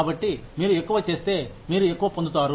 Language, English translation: Telugu, So, if you do more, you get more